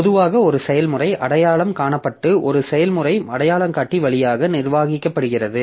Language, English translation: Tamil, So, generally a process is identified and managed via a process identifier